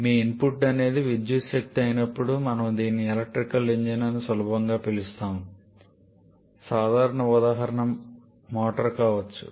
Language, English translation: Telugu, Like when your input is an electrical energy then we can easily call this to be an electrical engine common example can be a motor